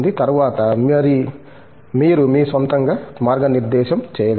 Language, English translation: Telugu, Later, you are possibly able to guide yourself on your own